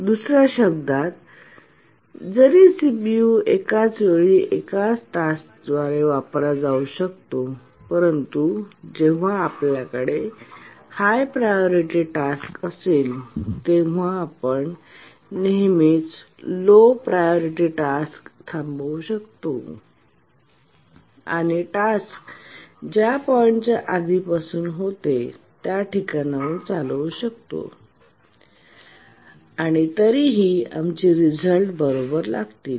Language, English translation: Marathi, Or in other words, even though CPU can be used by only one task at a time, but then when we have a higher priority task, we can always preempt a lower priority task and later run the task from that point where it was preempted and still our results will be correct